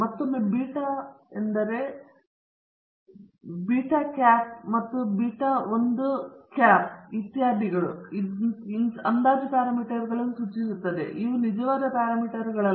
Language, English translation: Kannada, Again beta naught hat and beta 1 hat, etcetera refers to estimated parameters and not the true parameters